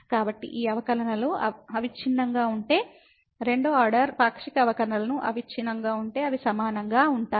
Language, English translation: Telugu, So, if these derivatives are continuous second order partial derivatives are continuous then they will be equal